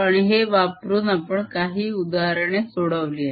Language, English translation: Marathi, and we solved certain examples using these